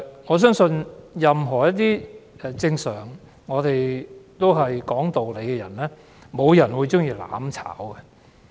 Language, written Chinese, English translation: Cantonese, 我相信，任何正常講道理的人，也不會喜歡"攬炒"的。, Any normal and reasonable person I believe would reject the idea of seeking to burn together with others